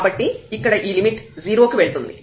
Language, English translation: Telugu, So, here this limit will go to 0